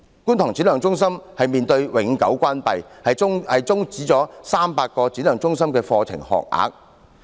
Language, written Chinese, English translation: Cantonese, 觀塘展亮中心面臨永久關閉，將會終止300個展亮中心課程學額。, The permanent closure faced by SSCKT will mean permanent termination of 300 admissions of Shine Skills Centres